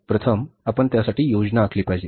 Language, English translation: Marathi, First we have to plan for that